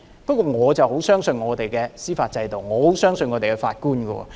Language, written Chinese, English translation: Cantonese, 不過，我很相信我們的司法制度，很相信我們的法官。, However I have great confidence in our judicial system and in our judges